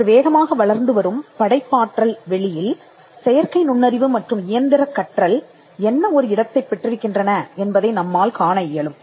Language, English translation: Tamil, In today’s rapidly evolving landscape of creativity, we can see how artificial intelligence and machine learning plays a role